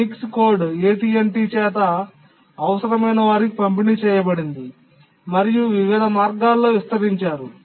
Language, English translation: Telugu, Even though the Unix code was developed at AT&T, it was extended in various ways by different vendors